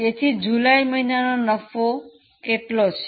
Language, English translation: Gujarati, So, what is the profit figure for month of July